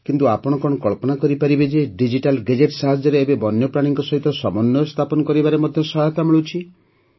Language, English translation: Odia, But can you imagine that with the help of digital gadgets, we are now getting help in creating a balance with wild animals